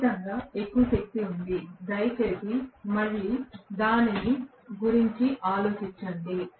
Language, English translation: Telugu, There is definitely more excess power, please again think about it